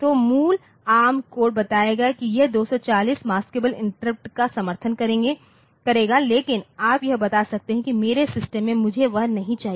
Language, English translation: Hindi, So, the original ARM code will tell that it will support up to 240 maskable interrupts, but you can tell that in my system I do not want